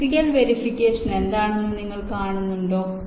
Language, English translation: Malayalam, you see what is physical verification